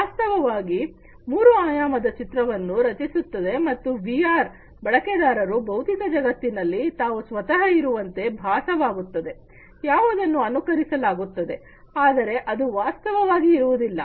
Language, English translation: Kannada, A realistic three dimensional image is created and the user in VR feels that the user is actually present in the physical world, which is being simulated, but is actually not being present